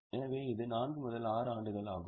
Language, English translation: Tamil, So, it is 4 to 60 years